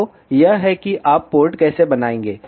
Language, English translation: Hindi, So, this is how you will create the port